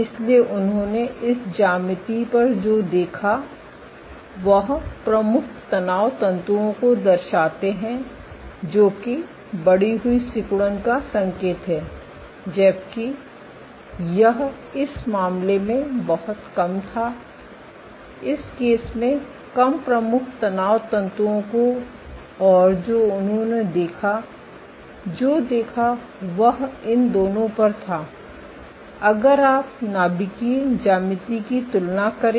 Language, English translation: Hindi, So, what they observed was on this geometry they show up prominent stress fibers, indicative of increased contractility while this was much less, less prominent stress fibers in this case and what they observed was on these two, if you were to compare the nuclear geometry ok